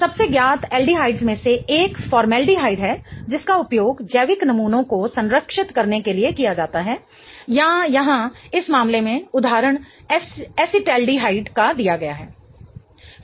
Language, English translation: Hindi, One of the most known aldehydes is formaldehyde which is used to preserve biological samples or here in the in this case the example is given that of acetaldehyde